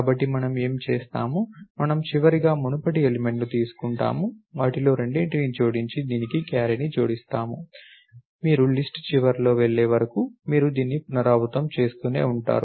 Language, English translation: Telugu, So, what do we do, we take the previous element of the last, add the two of them and add the carry to this, you keep repeating this until you move to the end of the list